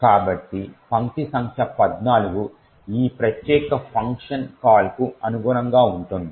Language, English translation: Telugu, So, line number 14 corresponds to the call to this particular function